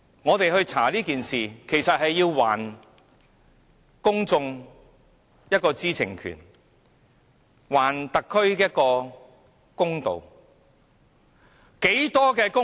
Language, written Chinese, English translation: Cantonese, 我們調查這事，便是要讓公眾知悉事實的真相，還特區政府一個公道。, The purpose of our inquiry is to let the public know the truth and do justice to the SAR Government